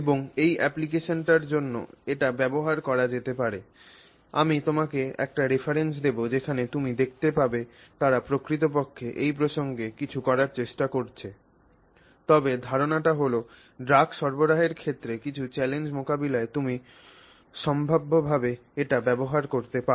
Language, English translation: Bengali, I will leave you with a reference as usual and you can look at a reference where they have actually tried to do something in this context but the idea is that that you can potentially use it for some to address some challenges in the area of drug delivery